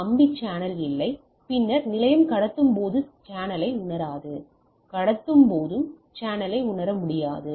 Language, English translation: Tamil, So, there is no wired channel and then the station does not sense the channel while transmitting, while transmitting it will not sense the channel